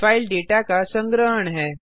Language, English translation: Hindi, File is a collection of data